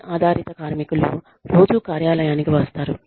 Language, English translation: Telugu, Have phone based workers, come into the office, on a regular basis